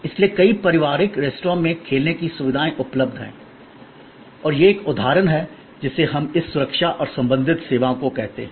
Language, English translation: Hindi, So, there are play facilities available in many family restaurants and that is an example of what we call this safety security and related services